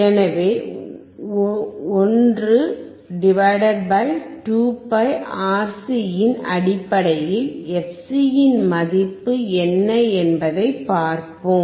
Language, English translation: Tamil, So, let us see what is the value of fc in terms of 1 /